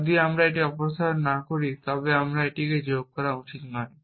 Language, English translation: Bengali, If I do not remove it then I should not add it here